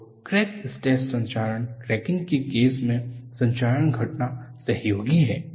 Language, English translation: Hindi, So, in the case of stress corrosion cracking, corrosion event precipitates that